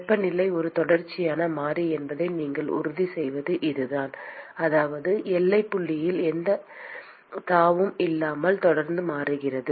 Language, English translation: Tamil, That is how you ensure that the temperature is a continuous variable that is it changes continuously without any jump at the boundary point